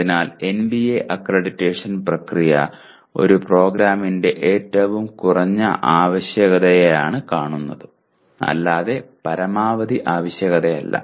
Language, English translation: Malayalam, So NBA accreditation process should be seen as looking at the minimum requirement of a program, not the maximum requirement